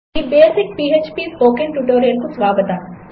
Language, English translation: Telugu, Welcome to this basic php Spoken Tutorial